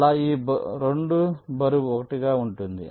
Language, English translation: Telugu, these two weight is one